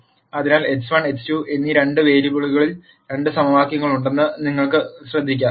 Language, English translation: Malayalam, So, you can notice that there are two equations in two variables x 1 and x 2